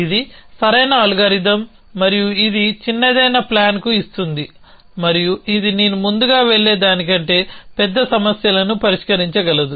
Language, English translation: Telugu, So, it is an optimal algorithm and it gives to the shortest plan and it can solve must larger problems than the earlier I will go to essentially